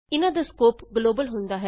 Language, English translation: Punjabi, These have a Global scope